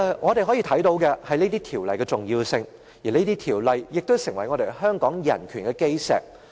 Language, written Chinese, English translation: Cantonese, 我們可以看到這項條例的重要性，而這項條例也成為香港人權的基石。, We can see the importance of this Ordinance which has become the cornerstone of human rights in Hong Kong